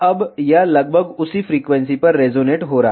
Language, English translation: Hindi, Now, it is resonating at approximately at the same frequency